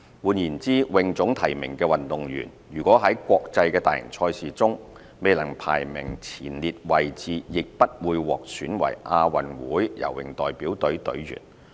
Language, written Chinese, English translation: Cantonese, 換言之，泳總提名的運動員如果在國際大型賽事中未能排名前列位置，亦不會獲選為亞運會游泳代表隊隊員。, In other words a swimming athlete nominated by HKASA but without a top ranking result in major international competitions would not be selected as part of the Delegation